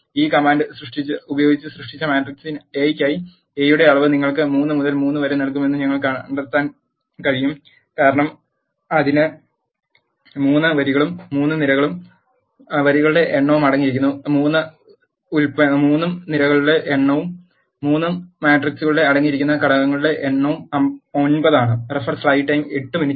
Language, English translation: Malayalam, For the matrix A which is created by using this command we can find that dimension of A will give you 3 by 3 because it contains 3 rows and 3 columns number of rows is 3 and number of columns is 3 and the number of elements that are present in the matrix is 9